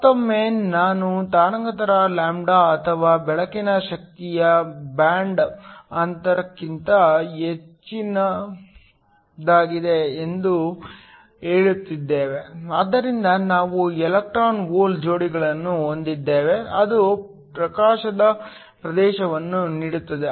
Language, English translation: Kannada, Once again we are saying that the wavelength λ or the energy of the light is greater than the band gap, so that we have electron hole pairs that are created the area of the illumination is given